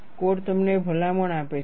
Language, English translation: Gujarati, A code gives you the recommendation